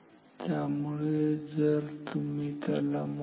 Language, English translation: Marathi, So, if you calculate it